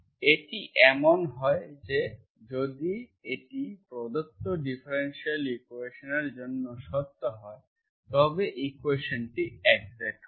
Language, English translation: Bengali, It so happens that if this is, this is, if this is true for the given differential equation, the equation will be exact